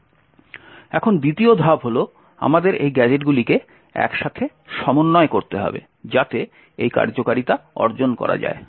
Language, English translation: Bengali, So, the next step is, we need to stitch these gadgets together so that to achieve this functionality and the way we do that is as follows